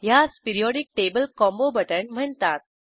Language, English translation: Marathi, For this I will use Periodic table combo button